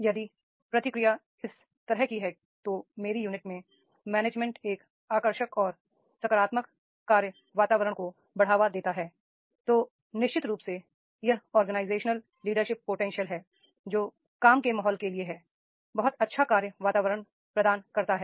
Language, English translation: Hindi, If the response is like this, management in my unit fosters engaging and positive work environment, then definitely it is the organizational excellence potential is there for the work environment providing the very nice work environment and therefore employees they are fosters and engaging and positively at work